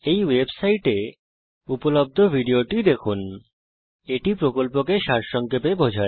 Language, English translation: Bengali, Watch the video available at this web site, it summarizes the spoken tutorial project